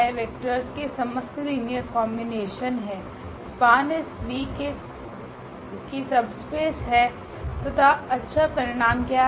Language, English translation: Hindi, All the linear combinations of the vectors that is the span S, is a subspace of V and what is the nice property